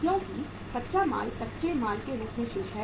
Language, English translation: Hindi, Because raw material is remaining as a raw material